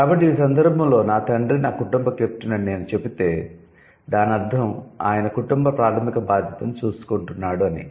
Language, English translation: Telugu, So, in case, if I say my father is the captain, that means he is the one who is taking care of the primary responsibility